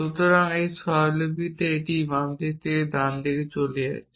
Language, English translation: Bengali, So, in this notation it is moving from left to right